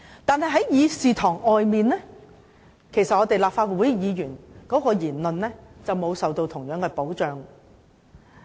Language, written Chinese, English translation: Cantonese, 可是，在議事堂外，立法會議員的言論便不會受到同樣保障。, However Members will not have the same kind of protection outside this Chamber